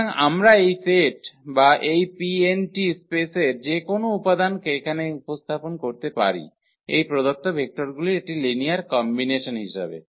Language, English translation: Bengali, So, we can represent any element of this set or this space here P n t as a linear combination of these given vectors